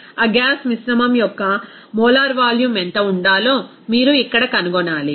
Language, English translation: Telugu, So, you have to find out here what should be the molar volume of that gas mixture